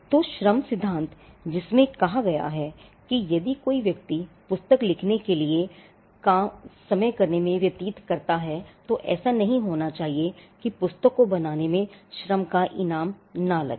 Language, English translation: Hindi, So, the labour theory which states that if a person expense time in creating a work for instance writing a book then it should not be that the labour that was spent in creating the book goes unrewarded